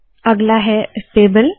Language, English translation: Hindi, The next one is the table